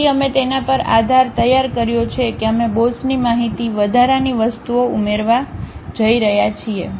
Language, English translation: Gujarati, So, we have prepared base on that we are going to add boss information, extra things